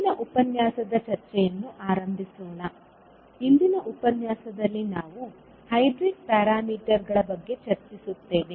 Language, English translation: Kannada, So, let us start the discussion of today’s lecture, we will discuss about the hybrid parameters in today's session